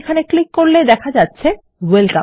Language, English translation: Bengali, If I click here, we get Welcome